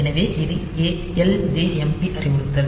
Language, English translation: Tamil, So, this is ljmp instruction